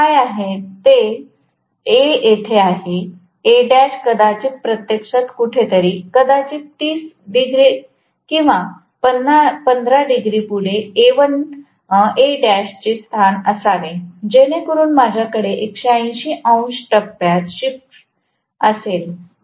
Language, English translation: Marathi, What they do is A is here, A dash maybe actually somewhere here, maybe 30 degrees or 15 degrees ahead of whatever should have being the position of A dash provided I have exactly 180 degrees phase shift